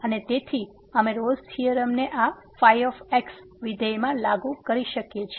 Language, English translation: Gujarati, And therefore, we can apply the Rolle’s theorem to this function